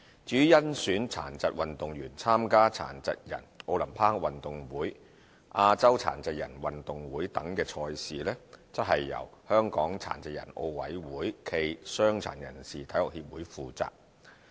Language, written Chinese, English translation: Cantonese, 至於甄選殘疾運動員參加殘疾人奧林匹克運動會、亞洲殘疾人運動會等賽事，則由香港殘疾人奧委會暨傷殘人士體育協會負責。, The HKPCSAPD is responsible for selecting disabled athletes to participate in competitions such as the Paralympic Games and the Asian Para Games